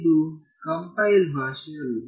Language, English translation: Kannada, It is not a compiled language